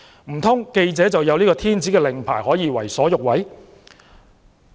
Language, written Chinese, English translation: Cantonese, 難道記者有天子令牌，可以為所欲為？, Do journalists have an imperial permit that allows them to do whatever they like?